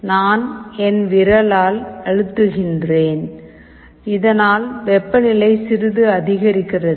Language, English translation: Tamil, I am just pressing with my finger, so that the temperature increases that little bit